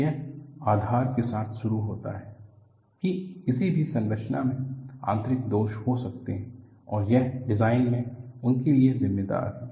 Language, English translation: Hindi, It starts with the premise, that any structure can have internal flaws and it attempts to account for them in design